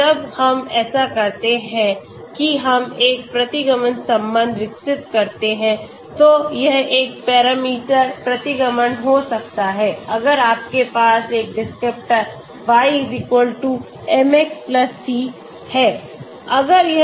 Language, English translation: Hindi, Once we do that we develop a regression relation, it could be a one parameter regression if you have one descriptor y=mx+c